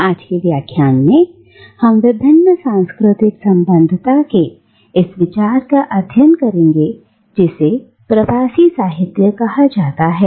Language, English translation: Hindi, And, in today’s lecture, we will explore this idea of multiple cultural affiliations with reference to what is called diasporic literature